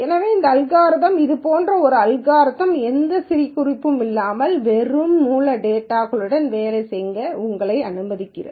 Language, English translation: Tamil, So, in that sense an algorithm like this allows you to work with just raw data without any annotation